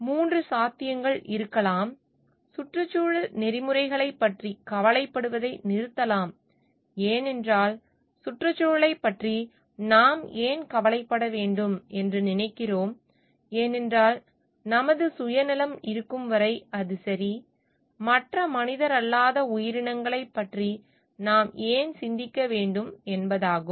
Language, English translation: Tamil, There could be 3 possibilities will stop worrying about environmental ethics, because we feel like why should we get worried about environment because as long as our own self interest is served, then its ok why should I think about other non human entities